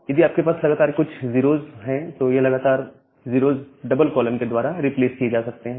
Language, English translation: Hindi, Then if you have few consecutive 0’s that consecutive 0’s that can be replaced by a double colon